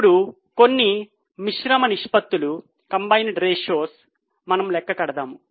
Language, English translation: Telugu, Now let us calculate some of the combined ratios